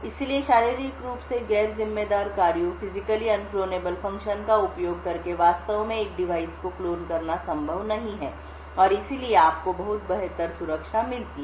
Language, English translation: Hindi, So, using Physically Unclonable Functions, it is not possible to actually clone a device and therefore, you get much better security